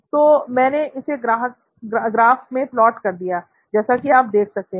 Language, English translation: Hindi, Fine, so I put it on the plot as you can see